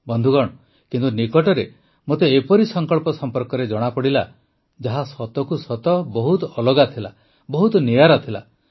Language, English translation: Odia, Friends, recently, I came to know about such a resolve, which was really different, very unique